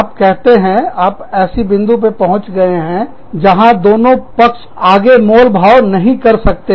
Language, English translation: Hindi, You say, you reach a point, where both parties, cannot negotiate, any further